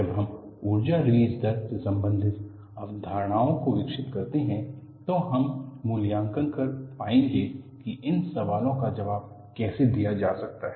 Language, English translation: Hindi, When we develop the concepts related to energy release rate, we would be able to appreciate how these questions can be answered